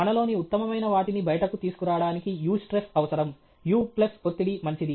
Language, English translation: Telugu, Eustress is required for bringing out the best in us; u plus stress is good